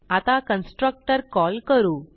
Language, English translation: Marathi, let us call this constructor